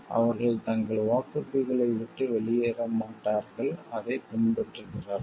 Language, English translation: Tamil, They do not walk out from their promises and follow it